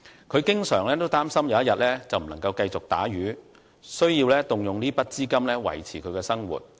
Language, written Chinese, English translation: Cantonese, 他經常擔心有一天不能繼續打魚，需要動用這筆資金維持生活。, He thinks that by the time when he can no longer work as a fisherman he can use this sum of money to maintain a living